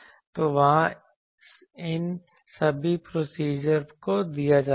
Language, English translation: Hindi, So, there all these procedures are given meeting